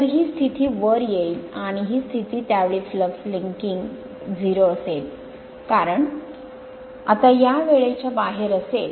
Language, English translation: Marathi, So, this position will come top and this position will come to the bottom at that time flux linkage will be 0, because this will be now at that time outside of this right